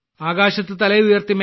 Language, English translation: Malayalam, Raise your head high